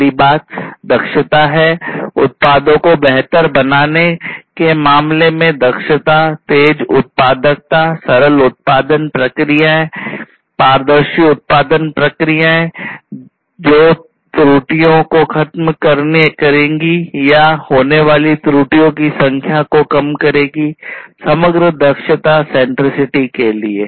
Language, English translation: Hindi, Next thing is the efficiency; efficiency in terms of improving in the products production productivity, faster productivity, simpler production processes, transparent production processes, production processes which will eliminate errors or reduce the number of errors from occurring and so on; overall efficiency centricity